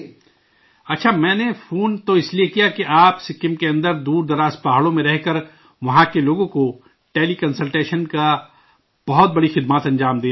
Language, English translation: Urdu, Well, I called because you are providing great services of teleconsultation to the people of Sikkim, living in remote mountains